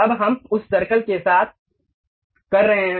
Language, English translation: Hindi, Now, we are done with that circle